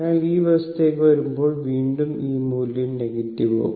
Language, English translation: Malayalam, So, again this value will become negative